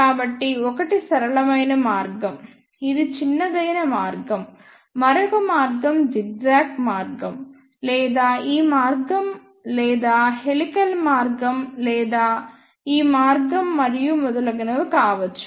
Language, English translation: Telugu, So, one is the straight path which is the shortest path, another path can be zigzag path or this path or helical path or this path and so on